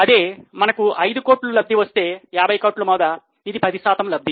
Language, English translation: Telugu, If we are getting 5 crore on a return on a investment of 50 crore, it becomes a return of 10%